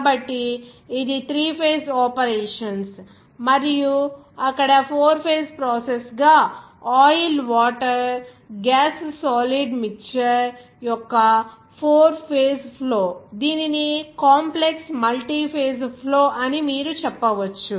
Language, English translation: Telugu, So, this is also three phase operations there and as a four phase process, you can say the four phase flow of oil water gas solid mixture there are complex multiphase flow